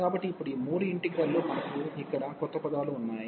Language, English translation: Telugu, So, these three integrals now, we have new terms here